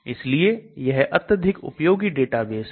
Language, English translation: Hindi, So this is a very useful database